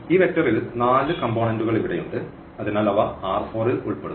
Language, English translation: Malayalam, So, R 4 because there are four components here of this vector so, they are they belongs to R 4